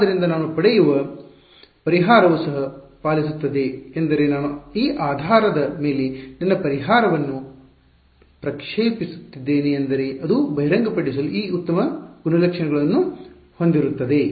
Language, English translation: Kannada, So, therefore, the solution that I get it also obeys I mean I am projecting my solution on this basis it will have these nice properties to reveal